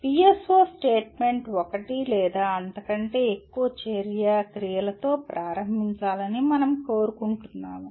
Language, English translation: Telugu, We want the PSO statement to start with one or more action verbs